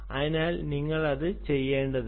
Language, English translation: Malayalam, so you don't want to get into that